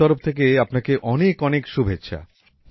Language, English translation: Bengali, My best wishes to you